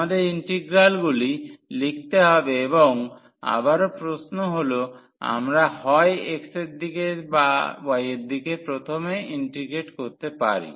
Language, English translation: Bengali, So, we have to write the integrals and again the question that we either we can integrate first in the direction of x or in the direction of y